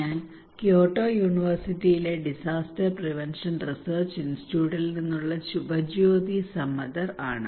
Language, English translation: Malayalam, I am Subhajyoti Samaddar from Disaster Prevention Research Institute, Kyoto University